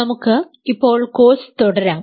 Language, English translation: Malayalam, Let us continue the course now